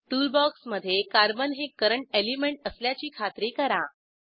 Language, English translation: Marathi, In the Tool box, ensure that Current element is Carbon